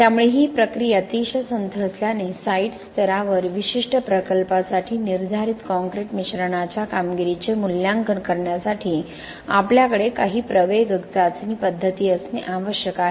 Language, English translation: Marathi, So since the process is very slow, we need to have some accelerated test methods to assess the performance of the prescribed concrete mixes for a particular project in the site level